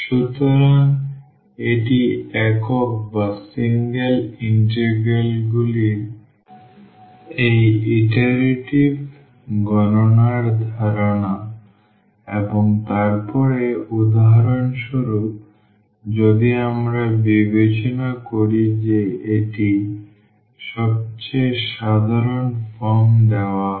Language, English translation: Bengali, So, this is the idea of this iterative computation of single integrals and then so, like for instance if we consider that is the most general form is given